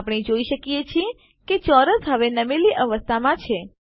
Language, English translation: Gujarati, We see that the square is in the tilted position now